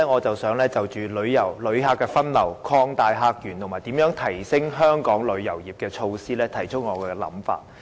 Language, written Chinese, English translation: Cantonese, 在此，我會就旅客分流、擴大客源，以及如何提升香港旅遊業的措施，提出我的想法。, Here I will express my views on visitor diversion expansion of visitor sources and measures to upgrade the tourism industry of Hong Kong